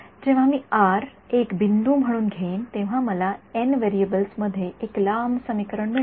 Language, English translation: Marathi, So, when I take r to be one point, I get one long equation in n variables